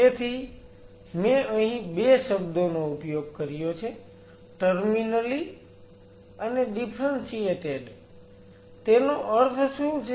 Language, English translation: Gujarati, So, I used 2 terms here terminally differentiated what does that mean, I will come to that